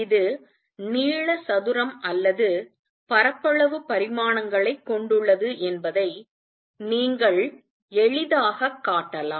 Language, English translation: Tamil, You can easily show that this has dimensions of length square or area dimensions